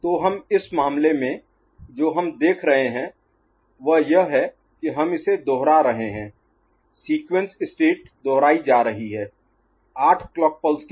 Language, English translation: Hindi, So, what we see, in this case, that we can we are getting the it is getting repeated, the sequence state is getting repeated after 8 clock pulses, ok